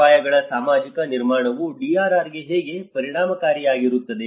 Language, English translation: Kannada, How can the social construction of risks be effective for DRR